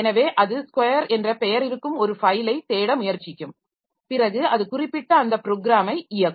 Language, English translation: Tamil, So, then it will try to look for a file whose name is a square and it will execute that particular program